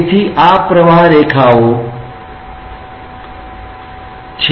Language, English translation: Gujarati, So, these are streamlines